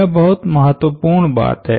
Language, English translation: Hindi, This point is very important